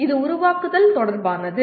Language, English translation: Tamil, This is related to creating